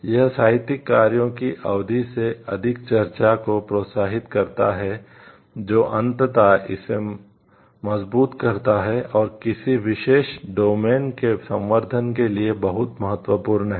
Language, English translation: Hindi, This encourage is more discussion revaluation of the literary work which ultimately enriches it and it is very important for like, enriching a particular domain